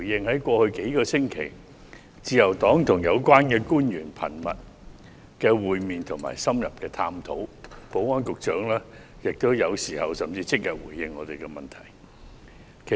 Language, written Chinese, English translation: Cantonese, 在過去數星期，自由黨一直與有關官員頻密會面及深入探討，保安局局長有時候甚至即日便回應我們的問題。, Over the past few weeks the Liberal Party has met frequently and conducted in - depth discussions with the relevant government officials . The Secretary for Security sometimes responded to our questions within the same day